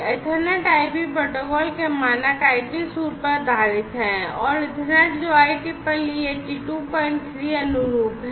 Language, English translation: Hindi, So, this Ethernet/IP is based on the standard IP suite of protocols plus the Ethernet, which is IEEE 82